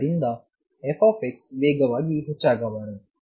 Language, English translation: Kannada, So, f x should not increase faster